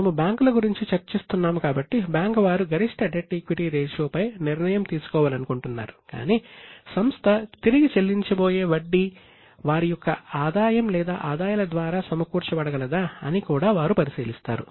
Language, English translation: Telugu, So, bankers want to decide on maximum debt equity ratio, but they also look at whether the interest which is going to be repaid is covered by the income or earnings of the company